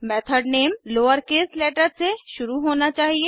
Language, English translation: Hindi, Method name should begin with a lowercase letter